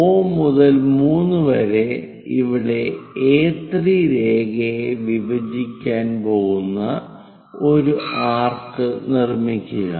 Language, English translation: Malayalam, From O to 3 make an arc such that is going to intersect A3 line here